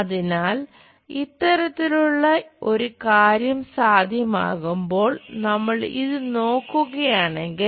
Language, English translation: Malayalam, So, when we have such kind of thing possibly if we are looking at this